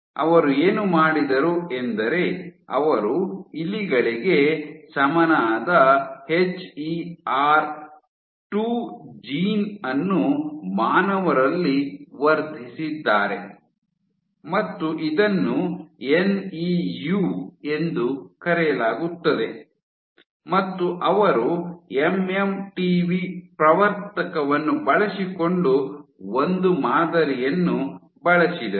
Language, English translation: Kannada, So, what they did was they took the rat equivalent of it of HER 2 gene which is amplified in humans this is called NEU, and they used a model using the MMTV promoter